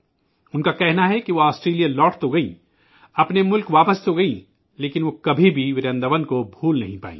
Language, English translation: Urdu, She says that though she returned to Australia…came back to her own country…but she could never forget Vrindavan